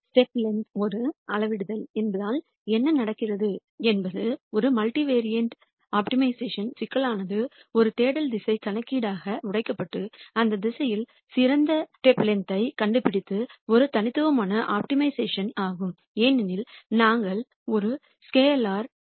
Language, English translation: Tamil, And since step length is a scalar what happens is a multivariate optimization problem has been broken down into a search direction computation and nding the best step length in that direction which is a univariate optimization because we are looking for a scalar alpha